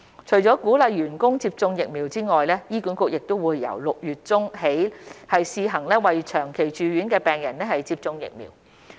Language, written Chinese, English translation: Cantonese, 除了鼓勵員工接種疫苗外，醫管局亦由6月中起試行為長期住院的病人接種疫苗。, In addition to encouraging vaccination among staff members HA has been providing COVID - 19 vaccination for long - stay patients on a pilot basis starting from mid - June